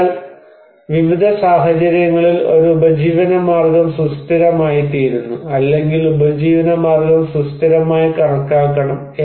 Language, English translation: Malayalam, So, a livelihood becomes sustainable in different conditions or a livelihood should be considered as sustainable